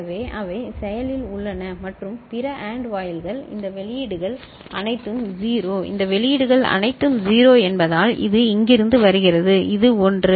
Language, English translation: Tamil, So, they are active and the other AND gates these outputs are all 0, this outputs are all 0 because it is coming from here and this is your 1 ok